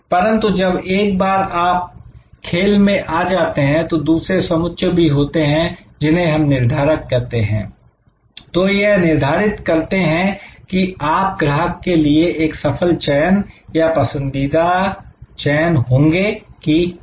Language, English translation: Hindi, But, once you are in the play, then there will be other sets, which we are calling determinant, which will determine that whether you will be the successful choice the preferred choice for the customer or not